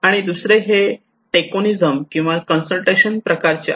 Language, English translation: Marathi, Another one is kind of tokenism okay or consultations